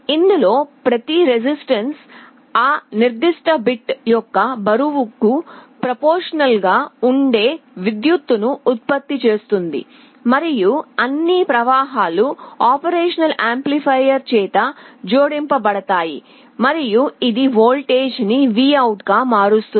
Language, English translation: Telugu, Each of the resistances is generating a current that is proportional to the weight of that particular bit and all the currents are added up by the operation amplifier, and it is converted into a voltage VOUT